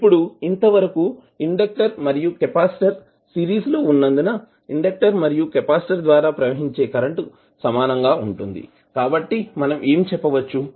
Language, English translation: Telugu, Now, since the inductor and capacitor are in series the inductor current is the same as the capacitor current, so what we can say